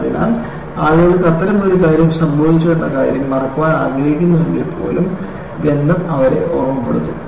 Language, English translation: Malayalam, So, people cannot, even if they want to forget that such a thing happened, a smell will remind them